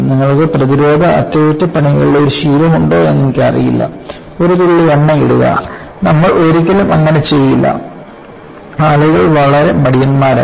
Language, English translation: Malayalam, I do not know you have a habit of preventive maintenance; just put the drop of oil; you never do that; people have become so lazy